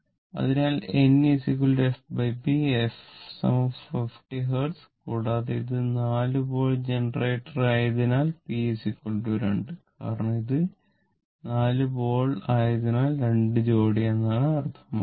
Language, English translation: Malayalam, So, n is equal to then f by p and if f is equal to 50 Hertz and p is your what to call it is a 4 pole generator; that means, p is equal to 2 because it is four pole means 2 pairs